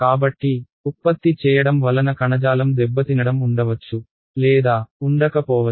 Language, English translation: Telugu, So, much it will be generated there may or may not be tissue damage